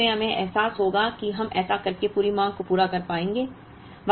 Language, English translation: Hindi, So, actually we would realise that, we will be able to meet the entire demand by doing this